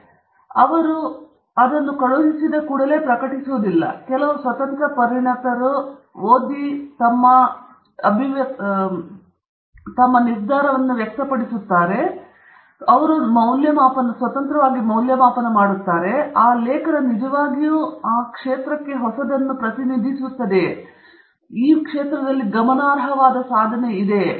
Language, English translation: Kannada, So, they don’t just publish it simply because you have sent it, they will send it to some bunch of independent experts, who will review that article, who will look at the article that you have sent, and then make an assessment whether that article indeed represents something new in that area; is it something significant in that area